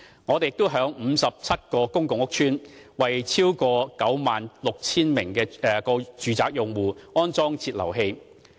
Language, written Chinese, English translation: Cantonese, 我們亦已在57個公共屋邨，為超過 96,000 個住宅用戶安裝節流器。, We have also installed flow controllers for more than 96 000 domestic customers in 57 public housing estates